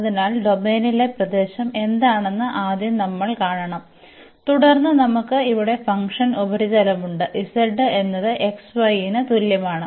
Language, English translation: Malayalam, So, we have to first see what is the region here in the domain, and then we have the function surface here z is equal to x y